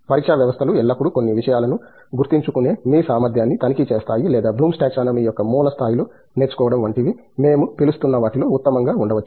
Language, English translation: Telugu, The examination systems are always checking your ability to remember certain things or may be at best in what we call as blooms taxonomy of learning at the base levels